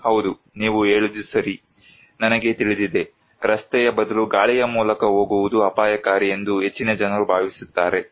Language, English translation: Kannada, Yes, you were right, I know, most of the people think that going by air is risky than by road